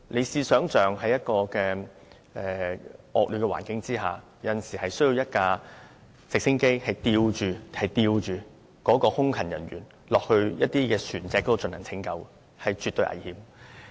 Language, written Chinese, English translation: Cantonese, 試想象，在惡劣環境下，有時候直升機需要吊着空勤人員到海上拯救船隻，這是絕對危險的工作。, Members can imagine this . Air Crewman Officers are sometimes deployed to helicopter winch operations for rescuing vessels at sea under inclement weather . This is a highly dangerous task